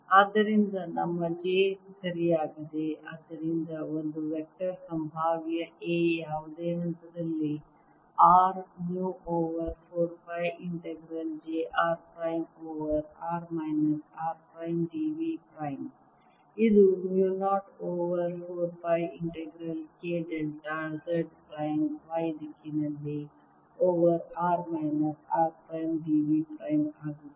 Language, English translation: Kannada, therefore, a, the vector potential, a, at any point, r is going to be mu naught over four pi integral j r prime over r minus r prime, d v prime, which is equal to mu naught over four pi integral k delta z prime in the y direction over r minus r prime, d v prime